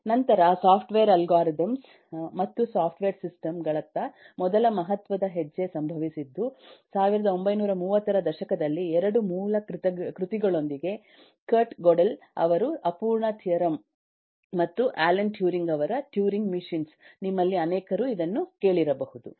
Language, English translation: Kannada, the first significant step towards software algorithms and software systems happened in the 1930s with the () 1 by kurt godel incompleteness theorem and alan turing in turing machines